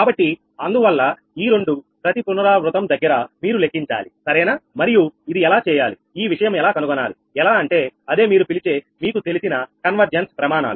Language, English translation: Telugu, so thats why these two you calculate in every iteration, right and ah, how to do this thing and find out that your what you call that, that convergence criteria, know